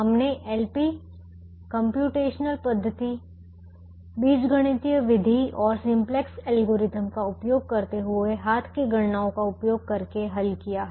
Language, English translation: Hindi, p's using the graphical method, the algebraic method and the simplex algorithm, using hand computations